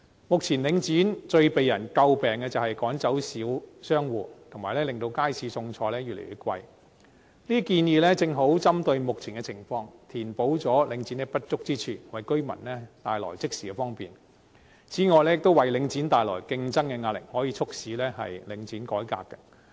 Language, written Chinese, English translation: Cantonese, 目前領展最為人詬病的是趕走小商戶，以及令街市貨品越來越昂貴，這些建議正好針對目前的情況，填補領展的不足之處，即時為居民帶來方便，亦為領展帶來競爭的壓力，可以促使領展改革。, Now the most severe criticism against Link REIT is that it has driven away small shop operators and caused the commodities in markets to become increasingly expensive . Focused exactly on the present situation these proposals can make up for Link REITs inadequacies and instantly bring convenience to the residents . It can also impose on Link REIT pressure of competition and make it reform